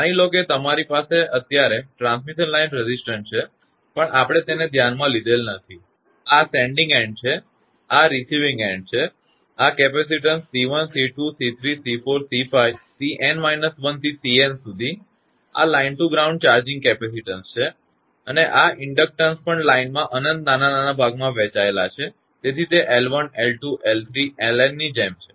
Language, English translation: Gujarati, Suppose you have a transmission line resistance for the time being, we have neglected; this is sending end and this is receiving end and this capacitance C 1, C 2, C 3, C 4, C 5, C n minus 1 up to C n; these are charging capacitance line to ground and this inductance also lines are lines are divided into infinitesimal small section; so, L 1, L 2, L 3, L n it is like this